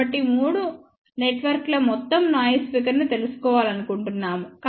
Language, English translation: Telugu, So, we want to find out the overall noise figure of these three networks